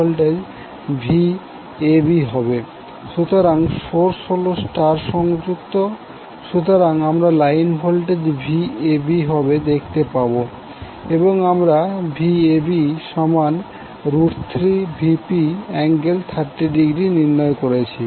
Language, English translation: Bengali, So since the source is your star connected, so you will see that the line voltage will be Vab and we derived that the value of Vab will be root 3 Vp angle 30 degree